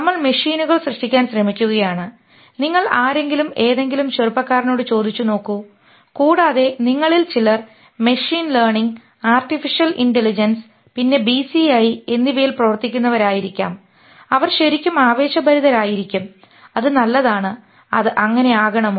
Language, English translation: Malayalam, You asked anybody, any young guy and some of you may be working on it who is working in machine learning and artificial intelligence and BCI, they are really pumped up, which is fine, where they should be